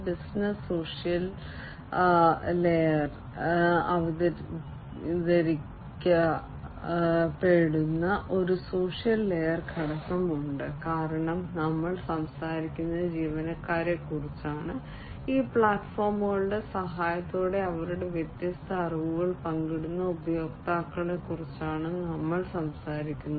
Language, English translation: Malayalam, There is a social layer component that is introduced in the business social layer; because we are talking about employees we are talking about users who will share their different knowledges with the help of these platforms